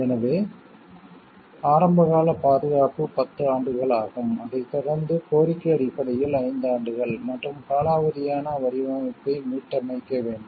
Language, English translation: Tamil, So, the initial term of protection is for 10 years which is followed by another five years in request and provision of restoration of the lapsed design